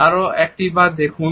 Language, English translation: Bengali, Once see it once more